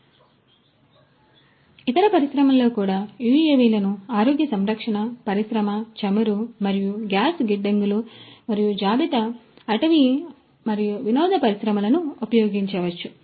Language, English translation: Telugu, So, in the other industries also UAVs could be used healthcare industry oil and gas, warehousing and inventory, forestry and entertainment industry